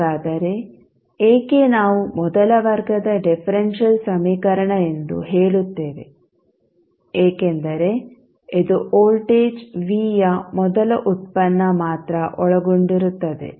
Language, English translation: Kannada, Now, this is our first order differential equation so, why will say first order differential equation because only first derivative of voltage V is involved